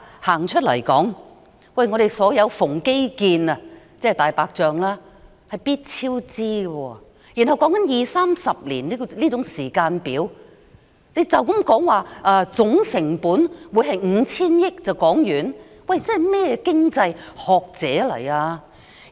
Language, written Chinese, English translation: Cantonese, 香港所有基建——即"大白象"工程——必定超支，而這個計劃的時間表涉及二三十年，他們卻武斷地說總成本是 5,000 億元，算甚麼經濟學者？, Nowadays all the infrastructure projects or the white elephant projects in Hong Kong always incur cost overruns yet we are talking about a time frame of 20 to 30 years and they said arbitrarily that the total cost is 500 billion . What kind of economics scholars are they?